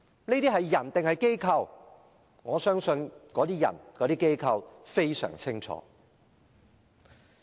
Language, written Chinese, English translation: Cantonese, 哪些人和機構在做這些事情，我相信他們自己非常清楚。, As regards which individuals and organizations are undertaking such actions I believe they have a clear answer